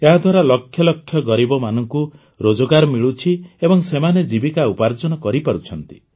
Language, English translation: Odia, Due to this lakhs of poor are getting employment; their livelihood is being taken care of